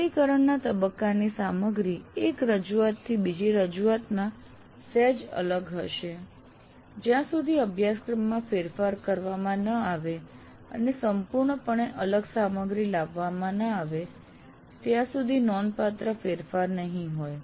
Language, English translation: Gujarati, So what happens the implement phase, a content of the implement phase will differ from one offering to the other slightly, not significantly, unless the curriculum is overhauled and completely different material is brought in